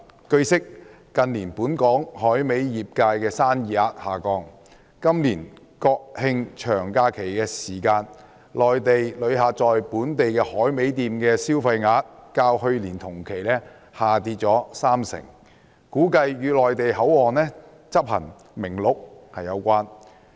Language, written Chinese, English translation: Cantonese, 據悉，近年本港海味業界的生意額下降，今年國慶長假期期間，內地旅客在本地海味店的消費額較去年同期下跌逾三成，估計與內地口岸執行《名錄》有關。, It is learnt that business turnover of the local dried seafood industry has dropped in recent years with the spending of Mainland travellers at local dried seafood shops during this years National Day long holidays dropping by more than 30 % as compared with that in the same period of last year